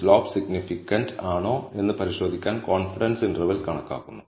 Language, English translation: Malayalam, The confidence interval is computed to check if the slope is significant